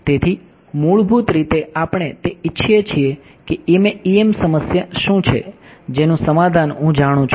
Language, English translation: Gujarati, So, basically we want up what we what is EM problem whose solution I know